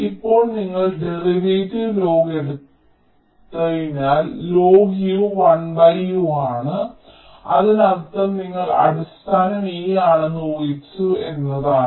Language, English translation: Malayalam, now, since you have taken derivative log u is one by u, that means you have assume the base to be e, so you can say u equal to e